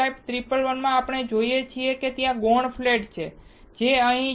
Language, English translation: Gujarati, In n type 111 what we see is, there is a secondary flat which is here